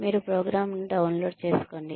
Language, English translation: Telugu, You download the program